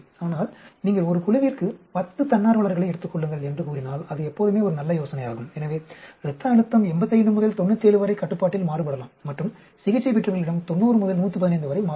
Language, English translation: Tamil, But it is always a good idea, say you take 10 volunteers per group, so the blood pressure may vary of the control from, say, 85 to 97 and the treated could vary between 90 to 115